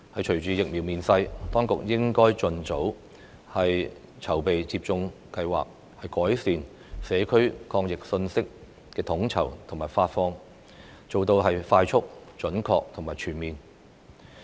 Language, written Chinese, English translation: Cantonese, 隨着疫苗面世，當局應該盡早籌備接種計劃，改善社區抗疫信息的統籌和發放，使有關工作快速、準確和全面。, With the availability of vaccines the authorities should come up with a vaccine programme as soon as possible and improve the coordination and dissemination of anti - pandemic messages in the community in order to achieve quick accurate and comprehensive anti - pandemic results